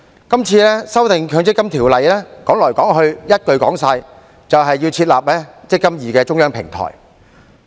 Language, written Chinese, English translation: Cantonese, 今次的《條例草案》，說來說去，一句話便能總結，便是設立"積金易"的中央平台。, The essence of this Bill can be boiled down to one theme and that is the setting up of the centralized eMPF platform